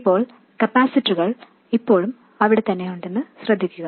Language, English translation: Malayalam, Now, notice that the capacitors are still in place